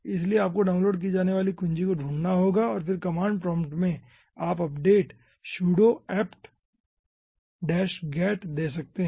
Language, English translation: Hindi, so, ah, you will be finding out the key being downloaded and then in the command prompt you can ah give the update: sudo apt get, update